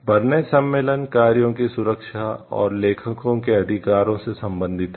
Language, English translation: Hindi, The Berne convention deals with the protection of works and the rights of the authors